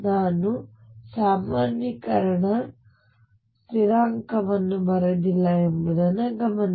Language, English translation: Kannada, Notice that I have not written the normalization constant